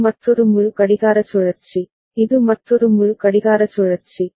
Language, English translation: Tamil, This is another full clock cycle, this is another full clock cycle